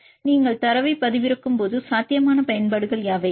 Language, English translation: Tamil, So, when you download the data then what are the potential applications